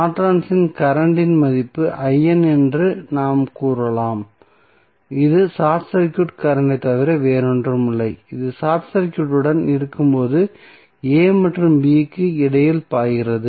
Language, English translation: Tamil, We can say that the value of Norton's current that is I N is nothing but the short circuit current across which is flowing between a and b when it is short circuited